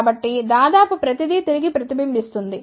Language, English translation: Telugu, So, almost everything is reflected back